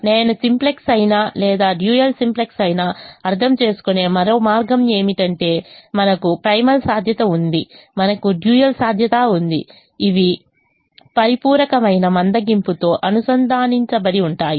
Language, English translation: Telugu, another way i have understanding either simplex or the dual: simplex is: we have a primal feasibility, we have a dual feasibility, which are linked by complementary slackness